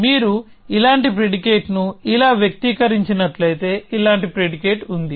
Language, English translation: Telugu, So, there is a predicate like this if you have expressed the predicate like this as such